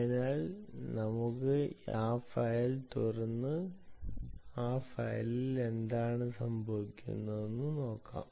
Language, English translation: Malayalam, so lets open that file and see what exactly happens in that file